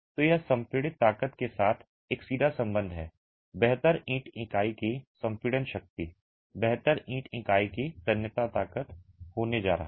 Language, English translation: Hindi, So, it has a direct correlation with the compressive strength, better the compressive strength of the brick unit, better is going to be the tensile strength of the brick unit